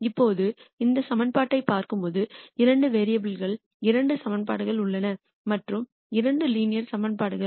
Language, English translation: Tamil, Now, when we look at this equation here there are two equations in two variables and both are linear equations